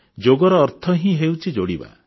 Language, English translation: Odia, Yoga by itself means adding getting connected